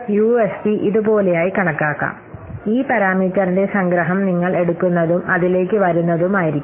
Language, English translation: Malayalam, So the UFP can be computed like this, that summation of this parameter whatever you are taking and into it will be the weight